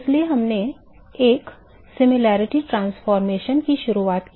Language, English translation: Hindi, So, we introduced a similarity transformation